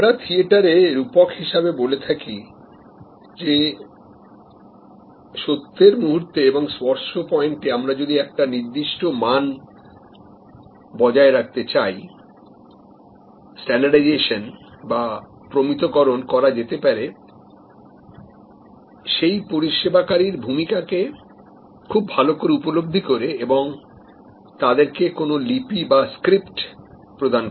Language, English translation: Bengali, We talked about the theater metaphor that to ensure at the moments of truth and the touch point we maintain, some ensure to some extent, standardization is by understanding the roles given to the service employees at those touch points and providing them with scripts